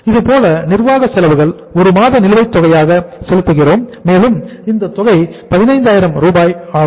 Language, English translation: Tamil, Similarly, administrative expenses are also being paid at the arrear of say uh 1 month and the amount was 15,000